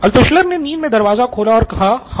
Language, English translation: Hindi, And this guy sleepily opening the door and Altshuller said, Yes